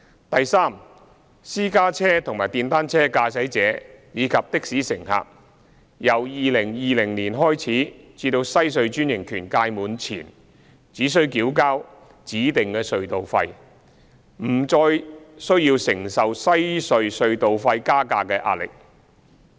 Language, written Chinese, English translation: Cantonese, 第三，私家車和電單車駕駛者，以及的士乘客，由2020年開始至西區海底隧道專營權屆滿前，只須繳付指定隧道費，不用再承受西隧隧道費加價的壓力。, Third from 2020 until the franchise expiry of Western Harbour Crossing WHC private car drivers motorcyclists and taxi passengers will only be required to pay prescribed tolls and no longer need to face any WHC toll increase pressure